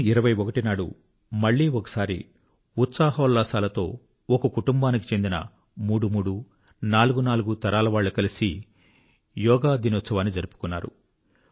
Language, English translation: Telugu, On 21st June, once again, Yoga Day was celebrated together with fervor and enthusiasm, there were instances of threefour generations of each family coming together to participate on Yoga Day